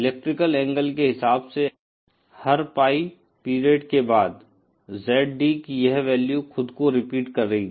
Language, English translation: Hindi, In terms of electrical angle, every after a period Pie, this value of ZD will repeat itself